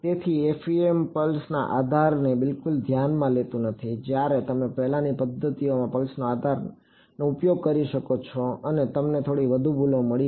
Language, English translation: Gujarati, So, FEM does not consider pulse basis at all whereas, you could use pulse basis in the earlier methods and you got little bit you got higher errors